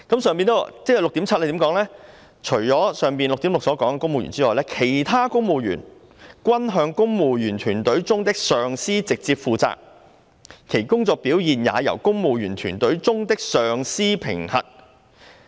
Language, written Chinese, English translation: Cantonese, 第 6.7 段則訂明，除了第 6.6 段所述的公務員外，"其他公務員均向公務員隊伍中的上司直接負責，其工作表現也由公務員隊伍中的上司評核。, Paragraph 6.7 stated that civil servants other than those in paragraph 6.6 report direct to their supervisors in the Civil Service . Their performance is appraised by their supervisors in the Civil Service